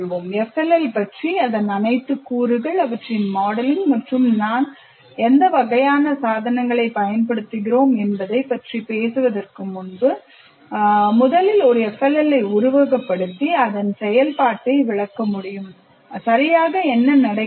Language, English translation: Tamil, That is, before I talk about FLL, in terms of all its elements, their modeling, and what kind of devices that I use, even before that, I can first simulate an FLL and explain its function what exactly happens